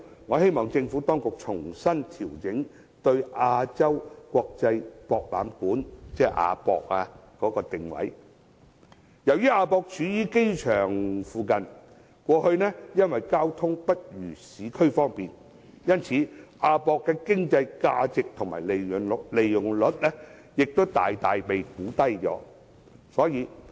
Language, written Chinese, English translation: Cantonese, 我希望政府當局調整對亞洲國際博覽館的定位，由於亞博處於機場附近，過去因為交通不如市區方便，其經濟價值及利用率大大被低估。, I hope that the Administration will readjust the positioning of the AsiaWorld - Expo AWE . As AWE is situated next to the Airport its transport connection is not as convenient as facilities in the urban area its economic value has thus been greatly underestimated and its utilization rate is lower than expected